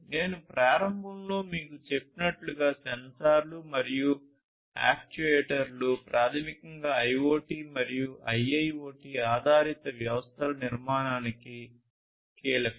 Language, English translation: Telugu, And as I told you at the outset sensors are, and, actuators are basically key to the building of IoT and IIoT based systems